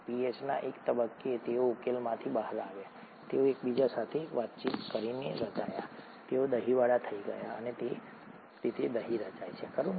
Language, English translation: Gujarati, At one point in in pH, they came out of solution, they interacted with each other and formed, they curdled and that’s how curd gets formed, right